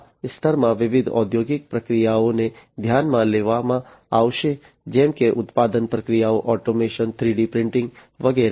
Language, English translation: Gujarati, So, different industrial processes in this layer will be considered like manufacturing processes, automation, 3D printing, and so on